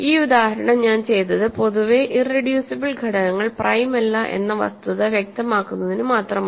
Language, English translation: Malayalam, So, this example I did only to illustrate the fact that in general irreducible elements are not prime